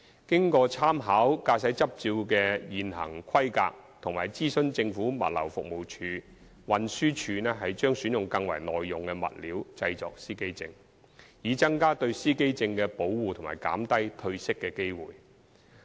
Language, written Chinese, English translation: Cantonese, 經參考駕駛執照的現行規格及諮詢政府物流服務署，運輸署將選用更為耐用的物料製作司機證，以增加對司機證的保護及減低褪色的機會。, After making reference to the existing specifications of driving licences and consulting the Government Logistics Department the Transport Department TD will select more durable materials for producing driver identity plates to enhance protection of the plates and reduce the chance of colour fading